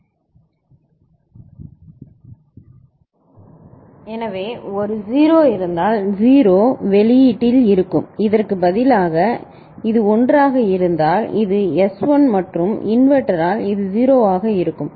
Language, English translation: Tamil, So, if there is a 0, 0 will be there in the output and instead of these, if this was 1 then this is, S is 1 and this will be 0 because of the inverter right